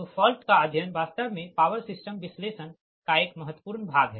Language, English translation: Hindi, so so fault study is actually an important part of power system analysis